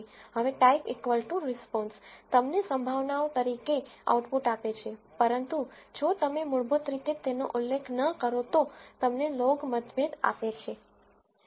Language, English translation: Gujarati, Now, type equal to response gives you the output as probabilities, but if you do not mention this it by default gives you the log odds